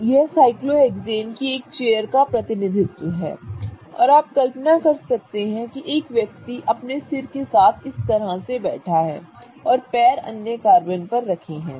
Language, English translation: Hindi, So, this is one of the cyclohexane chairs and you can imagine that a person is sitting here with his head on this carbon and the legs on this carbon